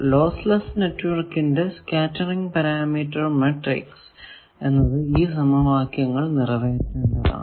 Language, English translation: Malayalam, So, in lossless network its scattering parameter matrix satisfies all these equations